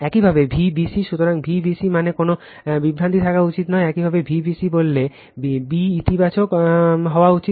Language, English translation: Bengali, Similarly, V b c right; So, V b c means there should not be any confusion, when you say V b c that b should be positive